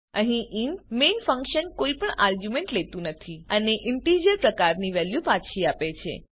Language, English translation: Gujarati, Here the int main function takes no arguments and returns a value of type integer